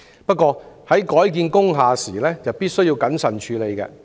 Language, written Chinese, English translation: Cantonese, 不過，在改建工廈時必須謹慎處理。, However care must be taken in handling conversion of industrial buildings